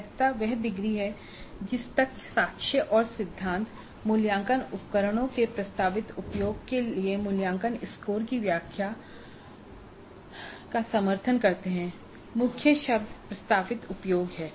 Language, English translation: Hindi, The validity is the degree to which evidence and theory support the interpretation of evaluation scores for proposed use of assessment instruments